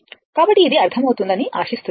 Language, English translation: Telugu, So, hope this is understandable to you